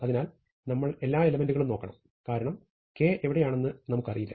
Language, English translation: Malayalam, So, we must look at all the values, because we have no idea where K maybe